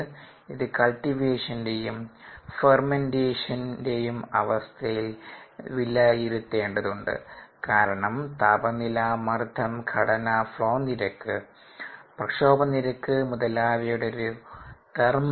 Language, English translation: Malayalam, it needs to be estimated at the conditions of cultivation and fermentation, because it's it's the function so many different things: temperature, pressure, ah composition, the flouriate, the agitation rate and so on